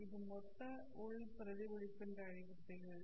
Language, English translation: Tamil, This phenomenon is called as total internal reflection